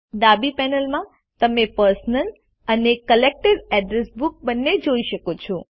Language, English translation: Gujarati, In the left panel, you can see both the Personal and Collected Address Books